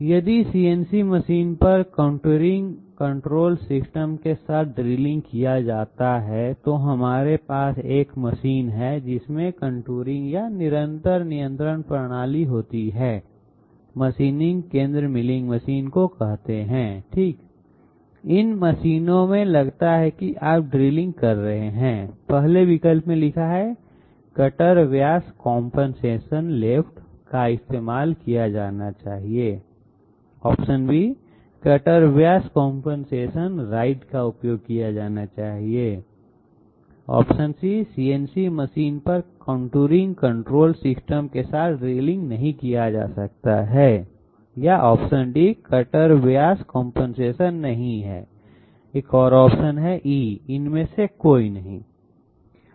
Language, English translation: Hindi, If drilling is done on a CNC machine with contouring control system, so we have a machine with contouring or continuous control system say machining centre milling machine okay, in these machines suppose you are carrying out drilling then 1st option reads, the cutter diameter compensation left should be used, the cutter diameter compensation right should be used, drilling cannot be done on CNC machine with contouring control system, cutter diameter compensation is not required and none of the others